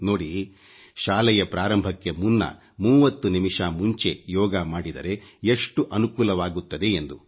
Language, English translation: Kannada, The practice of Yoga 30 minutes before school can impart much benefit